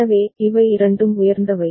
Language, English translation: Tamil, So, both of them are high